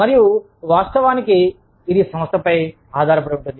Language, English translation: Telugu, And, all of course, depends on the organization